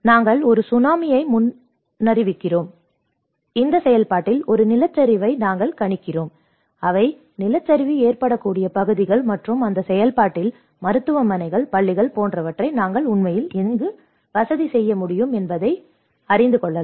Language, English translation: Tamil, Are we predicting any earthquakes, are we predicting a Tsunami, are we predicting a landslide in this process, which are the areas which are landslide prone and in that process, where you can procure you know where we can actually facilitate them like hospitals, schools